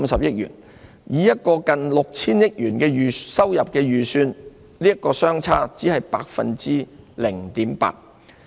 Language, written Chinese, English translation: Cantonese, 以一個近 6,000 億元的收入預算而言，這個差別只是 0.8%。, Against an estimated revenue of just under 600 billion that represents a difference of 0.8 % only